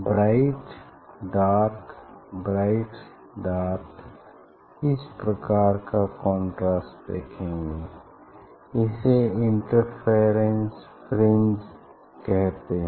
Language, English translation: Hindi, b dark, b dark this kind of contrast we will see and that is called interference fringe